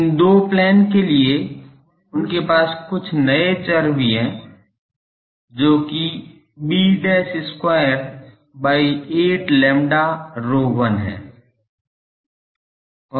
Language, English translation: Hindi, For these 2 planes, they also have some new variables s, which is b dash square by 8 lambda rho 1